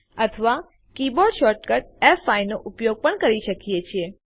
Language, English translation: Gujarati, or use the keyboard shortcut F5